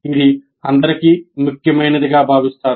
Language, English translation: Telugu, This is considered important by all